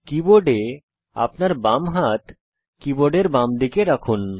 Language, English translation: Bengali, On your keyboard place your left hand, on the left side of the keyboard